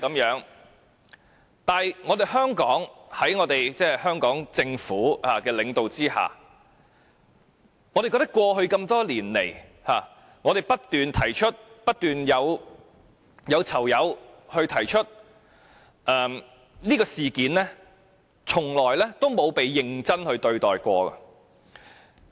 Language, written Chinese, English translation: Cantonese, 可是，我們認為，在香港政府領導下，過去多年來，我們及囚友不斷提出虐囚事件，但卻從未曾被認真對待。, From our perspective however prisoners have kept complaining about torture incidents over the years yet the Hong Kong Government has never seriously looked into these claims